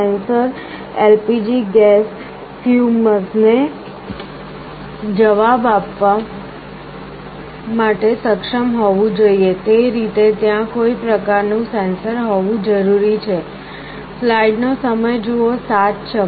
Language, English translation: Gujarati, The sensor should be able to respond to LPG gas fumes, there has to be some kind of a sensor in that way